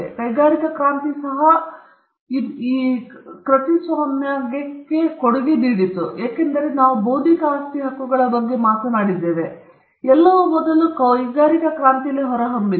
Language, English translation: Kannada, And the industrial revolution also contributed to it, because all the things that we were talking about intellectual property rights are first emanated in the industrial revolution